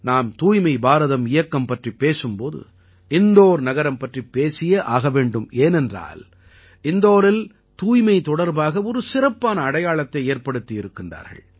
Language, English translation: Tamil, We know very well that whenever the topic Swachh Bharat Abhiyan comes up, the name of Indore also arises because Indore has created a special identity of its own in relation to cleanliness and the people of Indore are also entitled to felicitations